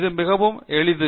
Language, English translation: Tamil, It is as simple as this